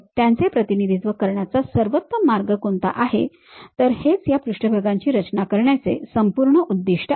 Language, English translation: Marathi, What is the best way of representing that, that is the whole objective of this surface construction